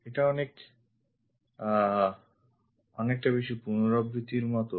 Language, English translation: Bengali, This one its more like repetition